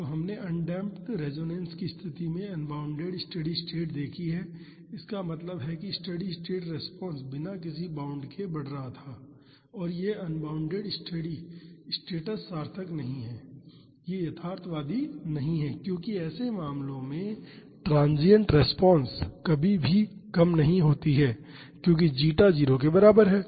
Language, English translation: Hindi, So, we have seen unbounded steady state in the case of undamped resonance condition so; that means, steady state response was increasing without any bound and this unbounded steady states are not meaningful they are not realistic because in such cases transient response never decays that is because zeta is equal to 0